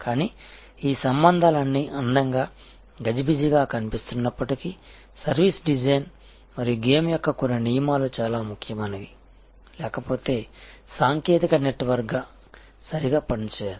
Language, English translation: Telugu, But, all these relationships even though this looks a pretty fuzzy sort of setting service design and certain rules of the game are very important; otherwise the technical network will not operate properly